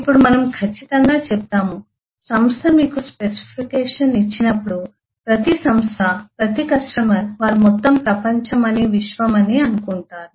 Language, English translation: Telugu, now we will say that now when, certainly when the organisation give you the specification, the, every organisation, every customer thinks that they are the whole world, they are the universe